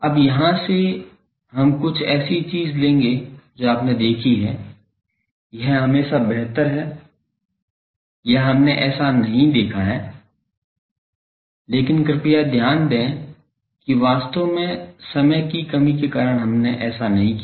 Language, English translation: Hindi, Now, from here we will take certain things that you have seen that it is always better or we have not seen that, but please note actually due to lack of time we did not do that